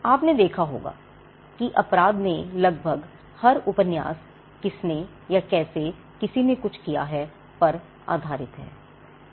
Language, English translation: Hindi, You would have seen that almost every novel in crime could either be a whodunit or how somebody did something